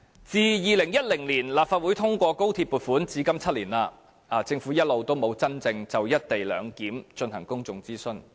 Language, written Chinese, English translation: Cantonese, 自2010年立法會通過高鐵撥款，至今已7年，政府一直沒有真正就"一地兩檢"進行公眾諮詢。, Since the Legislative Council approved the funding for XRL in 2010 seven years have passed but the Government has never really conducted any public consultation on the co - location arrangement